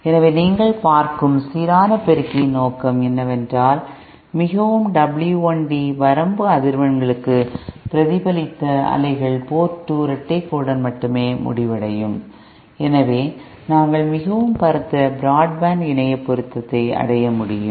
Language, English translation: Tamil, So this is so the purpose of the balanced amplifier you see is that since for a very wI De range of frequencies, the reflected waves will end up only at Port 2 double dash, hence we can achieve very broad band Internet matching